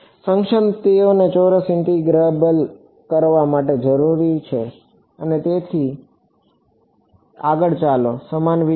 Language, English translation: Gujarati, The function they are needed to be square integrable and so on let so, similar idea